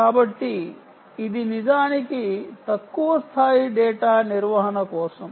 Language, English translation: Telugu, so it is indeed for low level, low level data handling